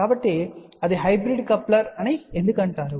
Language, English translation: Telugu, So, why it is called a hybrid coupler